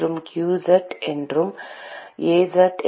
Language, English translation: Tamil, ; and qz is Az